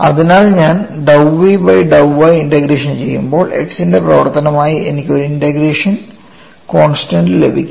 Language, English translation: Malayalam, So, when I go to dou v by dou y when I integrate, I get a integration constant as function of x